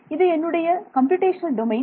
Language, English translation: Tamil, This is my computational domain